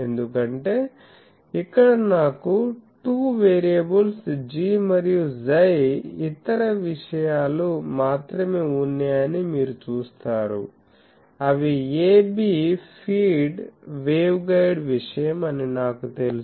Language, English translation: Telugu, Because, here you see that I have only 2 variables G and chi other things are known, a b are known to me that those are feed waveguide thing